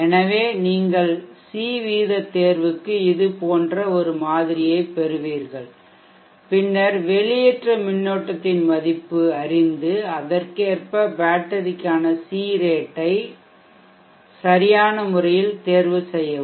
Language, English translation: Tamil, so you will have model power c rate choice something like this and then knowing the value of the discharge current, you can appropriately choose the C rate for the battery